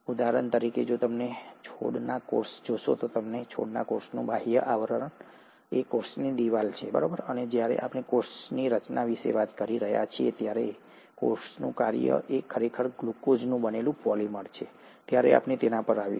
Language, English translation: Gujarati, For example, if you look at the plant cell, the outer covering of the plant cell is the cell wall, and we’ll come to it when we’re talking about cell structure and cell function is actually a polymer of glucose, which is made up of, which is what you call as cellulose, and these are huge polymeric molecules